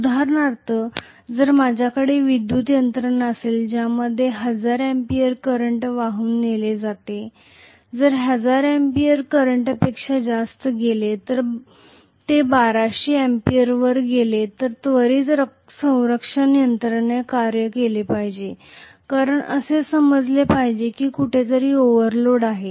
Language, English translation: Marathi, For example, if I have a power system which is supposed to be carrying 1000 amperes of current, if the current goes more than 1000 amperes say it goes to 1200 amperes, then immediately a protection system should act because it should sense that there is some overload somewhere